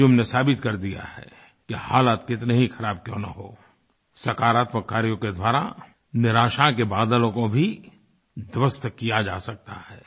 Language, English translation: Hindi, Anjum has proved that however adverse the circumstances be, the clouds of despair and disappointment can easily be cleared by taking positive steps